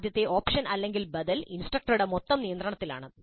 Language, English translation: Malayalam, The first option, first alternative is instruction, instructor is in total control